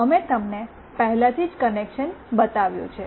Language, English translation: Gujarati, We have already shown you the connection